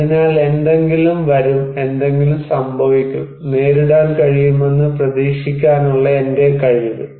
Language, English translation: Malayalam, So, my capacity to anticipate that something will come, something will happen and to cope with